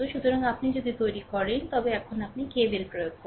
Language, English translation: Bengali, So, if you make, then now you what you do you apply KVL, right